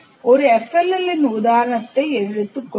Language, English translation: Tamil, Let us take the same example as a FLL we present it